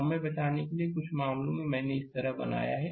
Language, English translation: Hindi, To save the time, some cases I made it like this